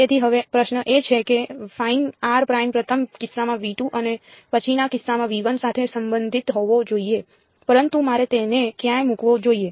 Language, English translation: Gujarati, So, now the question is, fine r prime must belong to V 2 in the first case and V 1 in the next case, but where exactly should I put them